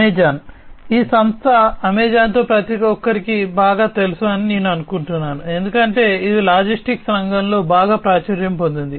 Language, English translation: Telugu, Amazon, I think everybody is quite familiar with this company Amazon, because it is quite popular in the logistics sector